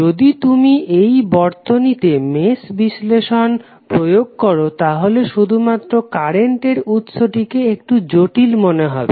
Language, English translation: Bengali, If you apply mesh analysis to the circuit only the current source it looks that it is very complicated